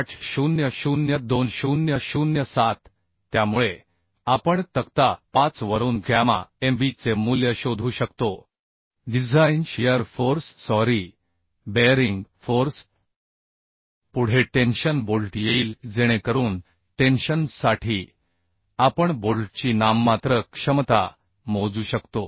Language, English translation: Marathi, 25 which we can find out from table 5 of IS: 800 2007 So we can find out the value of gamma mb from table 5 and we can find out the design shear force sorry design bearing force Next will come bolt in tension so for tension we can calculate the nominal capacity of bolt in tension as Tnb is equal to 0